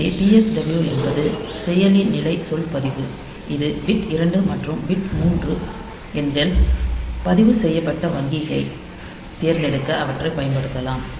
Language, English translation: Tamil, So, PSW is the processor status word register it is bit numbers 2 and 3 they can be used to select the registered bank